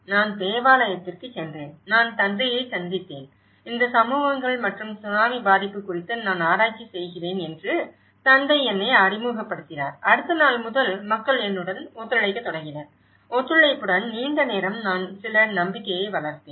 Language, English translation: Tamil, So, what I did was, I went to the church and I met the father and the father introduced me that I am doing research on these communities and tsunami effect and then the next day onwards, people started cooperating with me so that cooperation and when the longer run, I developed some trust